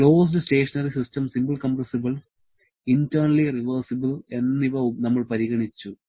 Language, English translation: Malayalam, We have considered closed stationary system, a simple compressible one and internally reversible